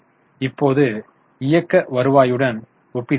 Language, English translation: Tamil, Now we are comparing with operating revenue